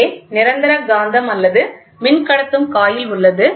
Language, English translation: Tamil, So, a permanent magnet is placed, or current carrying moving coil is there